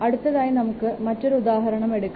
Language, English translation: Malayalam, We can take another example here